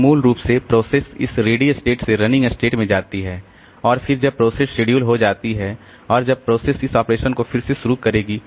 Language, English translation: Hindi, So, basically the process goes from this ready state to running state again and then when the process gets scheduled and then the process will restart its operation